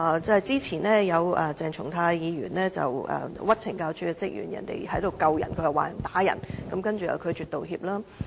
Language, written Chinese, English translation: Cantonese, 早前鄭松泰議員誣衊懲教署職員，職員在救人，卻被他說成是打人，但他拒絕道歉。, Recently Dr CHENG Chung - tai wrongful accused CSD officers of assaulting a PIC . But actually they were trying to save his life . Nevertheless he refused to apologize